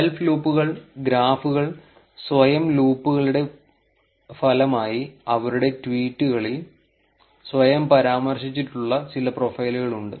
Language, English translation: Malayalam, Self loops, there are some of the profiles mentioned themselves in their tweets resulting in self loops in the graphs